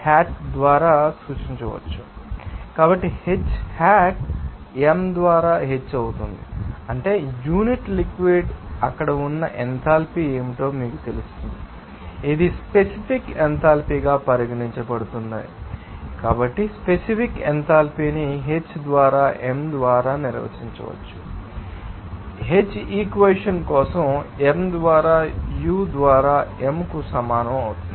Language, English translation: Telugu, So, H hat will be H by m that means, per unit mass what will be the enthalpy there it could, it can be you know regarded as specific enthalpy so, this is specific enthalpy can be defined H by m as per the equation H by m will be equal to U by m for this equation here